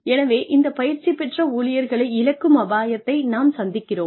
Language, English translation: Tamil, So, we run the risk of losing these trained employees